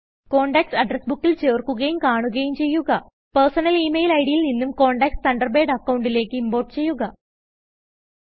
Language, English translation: Malayalam, Create a new address book Add and view contacts Import contacts from your personal email ID to your Thunderbird account